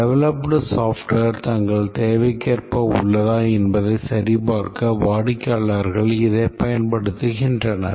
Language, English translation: Tamil, The customers use it for checking whether the developed software is as per their requirement